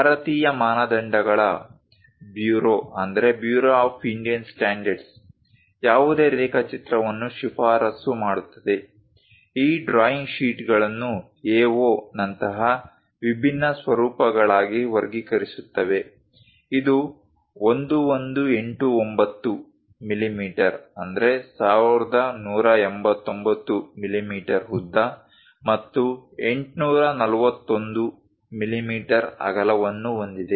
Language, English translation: Kannada, The typical standards bureau of Indian standards recommends for any drawing, categorizing these drawing sheets into different formats like A0, which is having a length of 1189 millimeters and a width of 841 millimeters